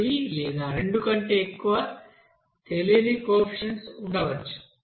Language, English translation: Telugu, There may be more than one and more than two unknown coefficients